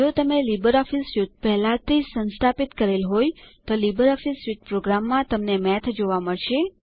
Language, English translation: Gujarati, If you have already installed Libreoffice Suite, then you will find Math in the LibreOffice Suite of programs